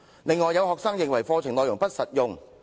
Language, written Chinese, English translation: Cantonese, "此外，也有學生認為課程內容不實用。, Furthermore some students consider the contents of the curriculum impractical